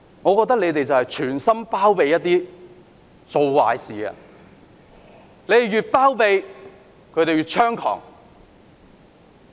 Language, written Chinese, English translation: Cantonese, 我覺得有議員存心包庇做壞事的人，他們越包庇，示威者便越猖狂。, I find some Members deliberately condoning the acts of lawbreakers . The more they condone the protesters the more violent act the protesters would take